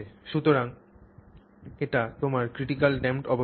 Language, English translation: Bengali, So, that is your critically damped condition